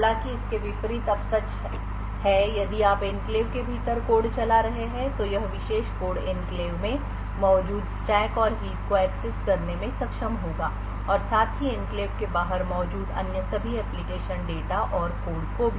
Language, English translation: Hindi, However, the vice versa is true now if you are running code within the enclave this particular code will be able to access the stack and heap present in the enclave as well as all the other application data and code present outside the enclave as well